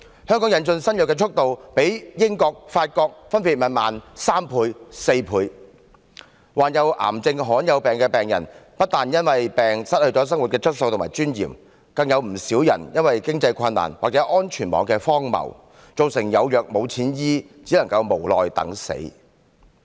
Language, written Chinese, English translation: Cantonese, 香港引進新藥的速度，較英國及法國分別慢3倍和4倍，患有癌症和罕見疾病的病人，不但因為疾病失去生活質素和尊嚴，更有不少因為經濟困難或安全網的荒謬而有藥無錢醫，只能無奈等死。, As regards the introduction of new drugs Hong Kong is three and four times slower than the United Kingdom and France respectively . Patients afflicted with cancers and rare diseases lose their quality of life and dignity because of their diseases; and some of them are even denied medical treatment due to financial difficulties or the absurdity of the safety net . All they can do is to wait for death helplessly